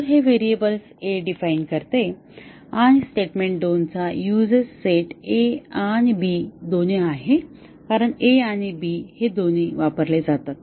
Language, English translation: Marathi, So, it defines the variable a, and the USES set of statement 2 is both a and b because a and b are both used